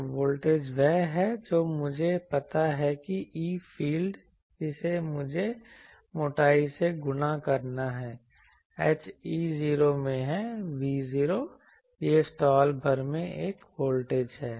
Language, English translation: Hindi, So, voltage is what I know the e field that I need to multiply by the thickness so, h into E 0 is V 0, it is a voltage across the slot ok